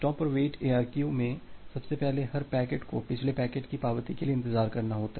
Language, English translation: Hindi, In stop and wait ARQ, first of all every packet needs to wait for the acknowledgement of the previous packet